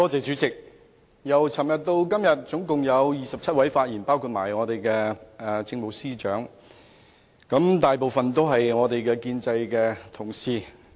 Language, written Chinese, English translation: Cantonese, 主席，由昨天至今天共有27人發言，包括政務司司長，但大部分發言的都是反對派同事。, President a total of 27 persons including the Chief Secretary for Administration have spoken on these two days and most of those who have spoken are the opposition Members